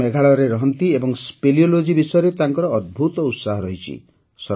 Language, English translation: Odia, He is a resident of Meghalaya and has a great interest in speleology